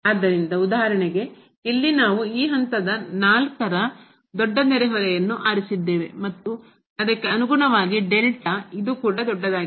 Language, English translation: Kannada, So, for instance here we have chosen a big neighborhood of around this point 4 and then, correspondingly this delta is also big